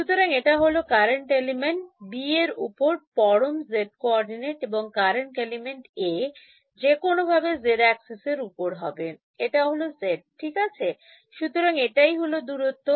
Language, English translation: Bengali, So, this is the absolute z coordinate on current element B and current element A was anyway on the z axis was this was z right, so this is the distance